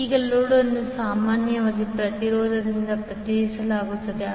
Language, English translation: Kannada, Now, the load is generally represented by an impedance